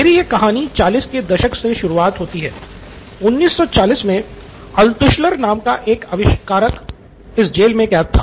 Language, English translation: Hindi, So my story starts here 40’s, 1940’s a young inventor by name Altshuller was imprisoned in this prison